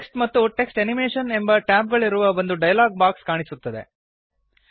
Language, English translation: Kannada, A dialog box appears which has tabs namely Text and Text Animation